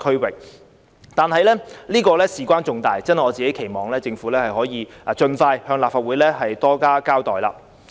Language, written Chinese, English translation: Cantonese, 可是，此事關係重大，我期望政府可以盡快向立法會多加交代。, However this is an important matter so I expect the Government to give more accounts to the Legislative Council as soon as possible